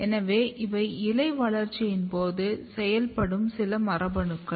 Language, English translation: Tamil, So, these are the some genes, which is known during leaf development